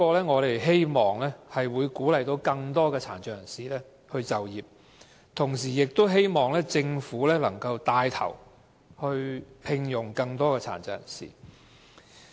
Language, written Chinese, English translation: Cantonese, 我們希望可藉此鼓勵更多殘障人士就業，亦希望政府牽頭聘用更多殘疾人士。, We seek to promote the employment of PWDs and hope that the Government will take the initiative to employ more PWDs